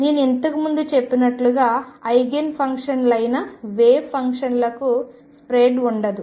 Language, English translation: Telugu, As I said earlier the wave functions that are Eigen functions do not have a spread